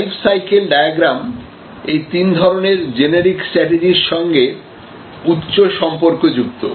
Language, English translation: Bengali, So, the life cycle diagram has a high correlation with this three types of generic strategies